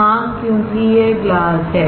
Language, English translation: Hindi, Yes, because it is glass